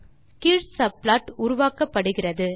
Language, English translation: Tamil, The lower subplot is created now